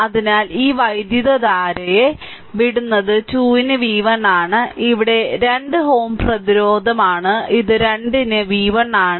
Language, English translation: Malayalam, So, this current is leaving say this current is v 1 upon 2 this is 2 ohm resistance this is v 1 upon 2 right